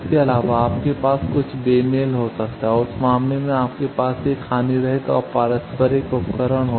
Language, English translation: Hindi, Also you can have that there will be some mismatch and in that case you can have a lossless and reciprocal device